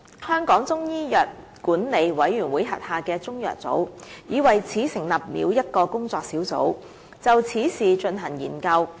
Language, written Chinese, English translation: Cantonese, 香港中醫藥管理委員會豁下的中藥組已為此成立了一個工作小組，就此事進行研究。, The Chinese Medicines Board CMB under the Chinese Medicine Council of Hong Kong CMCHK has established a working group to examine the issue